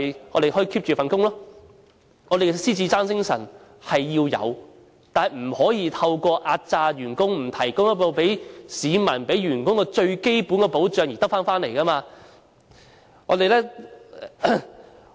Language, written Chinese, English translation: Cantonese, 我們要有獅子山精神，但不可以透過壓榨員工、不向市民及員工提供最基本的保障而得來。, We should have the Lion Rock Spirit but it should be achieved not through exploitation of employees and non - provision of basic protection to the people and the employees